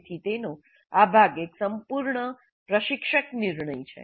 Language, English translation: Gujarati, So this part of it is a totally instructor decision